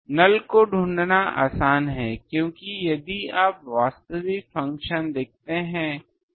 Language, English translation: Hindi, Nulls are easy to find because if you see the actual function